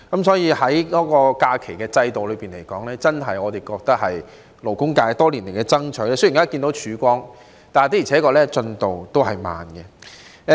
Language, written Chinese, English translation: Cantonese, 就假期制度而言，我們真的覺得這是勞工界多年爭取的成果，雖然看到曙光，但進度也確實緩慢。, Talking about these systems of holidays we really feel that the current proposal is the result of the fight by the labour sector over many years . Although we can see a ray of hope the progress is really slow